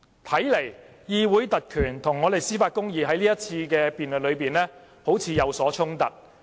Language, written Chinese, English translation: Cantonese, 看來，議會特權與司法公義在這場辯論中有所衝突。, It looks like there is a contradiction between parliamentary privilege and judicial justice in this debate